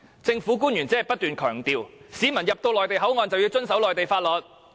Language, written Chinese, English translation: Cantonese, 政府官員只不斷強調，市民進入內地口岸便要遵守內地法律。, Government officials keep on emphasizing that the public should observe Mainland laws when they enter the Mainland Port Area